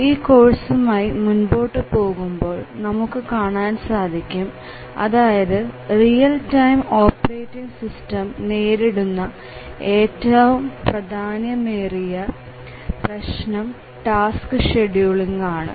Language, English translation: Malayalam, Actually as we proceed with this course we will see that one of the major issues in real time operating system is tasks scheduling